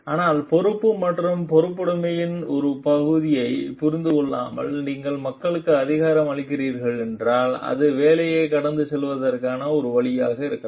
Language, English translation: Tamil, But, if you are empowering people without making them understand their part of responsibility and accountability it may be a way of passing on the work